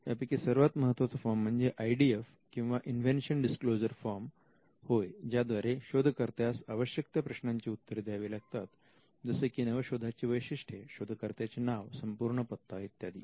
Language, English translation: Marathi, The most important form is the invention disclosure form the IDF comprises of a set of questions required by inventors to answer with a view to capture the following the description of the invention its normal and inventive aspects name and address of the inventor